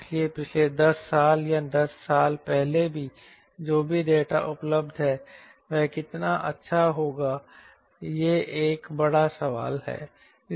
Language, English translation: Hindi, so how good will be those data, whatever available last ten years or ten years ago, is a big question